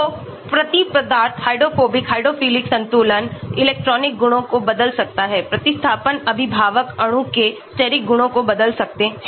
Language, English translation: Hindi, So, the substituent can change the hydrophobic hydrophilic balance, the electronic properties, the substituents can change the steric properties of the parent molecule